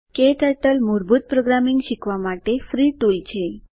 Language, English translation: Gujarati, KTurtle is a free tool to learn basic programming